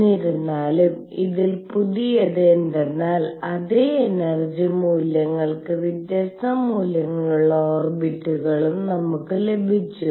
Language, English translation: Malayalam, However, what was new in this was that for the same energy values we also obtained orbits which could be of different values